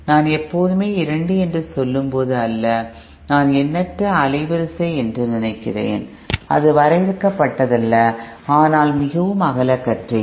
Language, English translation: Tamil, Not when I say always I I you might be thinking I mean infinite bandwidth, it is not in finite but a very broadband kind of